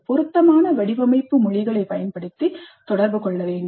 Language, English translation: Tamil, Communicate using the appropriate design languages